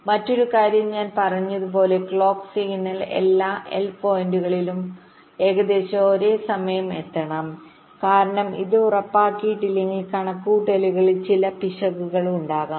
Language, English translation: Malayalam, and another thing is that, as i said, that the clock signal should reach all the l points approximately at the same time, because if it is not ensured, then there can be some error in computation